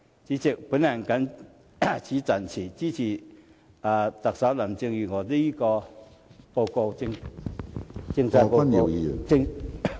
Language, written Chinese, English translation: Cantonese, 主席，我謹此陳辭，支持特首林鄭月娥的施政報告。, With these remarks President I support the Policy Address of Chief Executive Carrie LAM